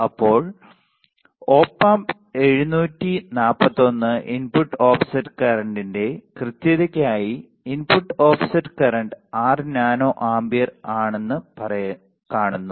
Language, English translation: Malayalam, Now, for a precision of Op Amp 741 input offset current, input offset current is nothing, but 6 nano amperes ok